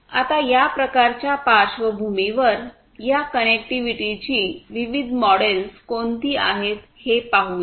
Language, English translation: Marathi, Now, let us look at in this kind of backdrop what are the different models for this connectivity